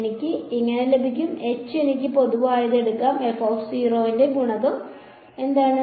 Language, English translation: Malayalam, I will get so, h I can take common, what is the coefficient of f naught